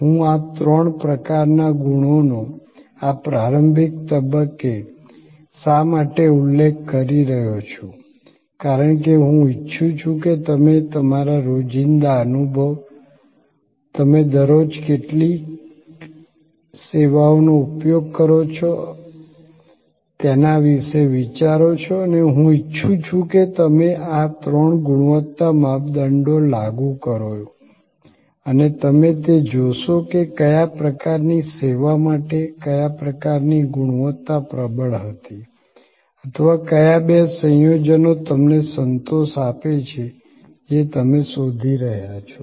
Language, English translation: Gujarati, Why am I mentioning these three types of qualities at this early stage is because, I would like you to think about from your everyday experience, the number of services that you are daily using and I would like you to applying these three quality criteria and you will see that for what kind of service, which kind of quality was the dominant or which two combined to give you the satisfaction that you look for